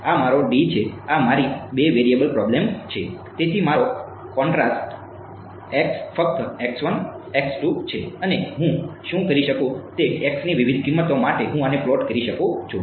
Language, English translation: Gujarati, This is my 2 D this is my two variable problem so, my contrast x is simply x 1 x 2 and what I can do is I can plot this for different values of x